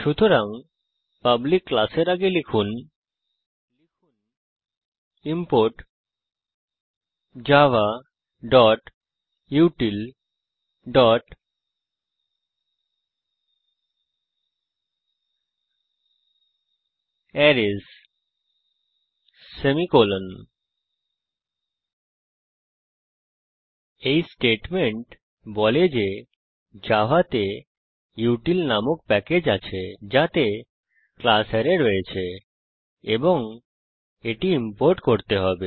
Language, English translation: Bengali, So Before public class, type import java.util.Arrays semicolon This statement says that java contains a package called util which contains the class Arrays and it has to be imported